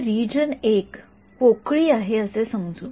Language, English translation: Marathi, So, if region 1 let us say its vacuum